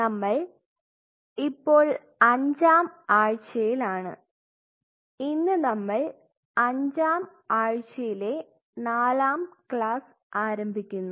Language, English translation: Malayalam, So, we are on the fifth week and today we are initiating the fourth class of the fifth week